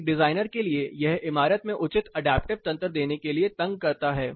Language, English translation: Hindi, As a designer it bothers you in order to give proper adaptive mechanisms in the building